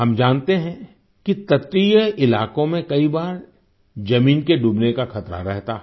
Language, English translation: Hindi, We know that coastal areas are many a time prone to land submersion